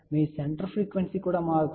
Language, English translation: Telugu, Your center frequency is also changing